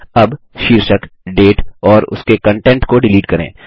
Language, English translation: Hindi, Now, let us delete the heading Date and its contents